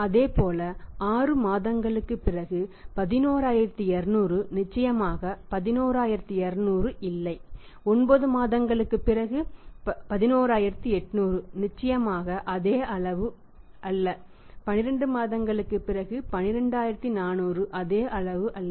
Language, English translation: Tamil, Similarly 11000 after 6 months 11200 after 6 months is not 11200 certainly 11800 after 9 months is not the same amount and 12400 after 12 month was not the same amount